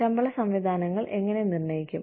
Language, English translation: Malayalam, How do we determine pay systems